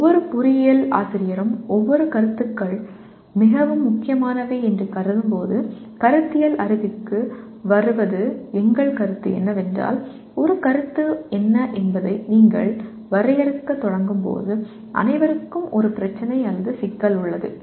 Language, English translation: Tamil, Coming to the Conceptual Knowledge while everyone every engineering teacher considers what concepts are very important and our experience shows that when you start defining what a concept is everyone has an issue or a problem